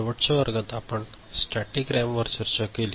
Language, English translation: Marathi, In the last class we looked at static RAM